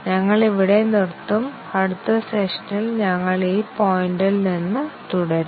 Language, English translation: Malayalam, We will stop here and we will continue from this point, in the next session